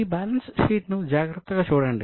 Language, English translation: Telugu, So, have a look at this balance sheet carefully